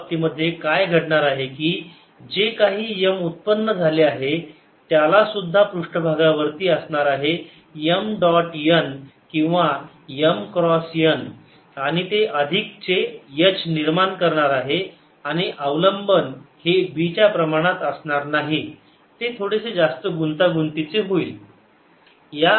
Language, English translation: Marathi, in this case, what would happen is that whatever m is produced, it'll also have m dot n or m cross n at the surfaces, and that will give rise to an additional h and the dependence will not be directly proportional to b, so that will be slightly more complicated